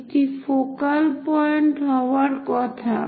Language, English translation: Bengali, So, this supposed to be focal point